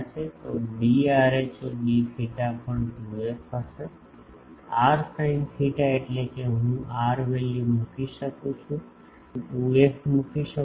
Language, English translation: Gujarati, So, d rho d theta will be 2 f also, r sin theta means I can put r value I can put 2 f